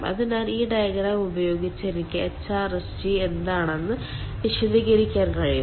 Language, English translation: Malayalam, so with this diagram i can explain what is hrsg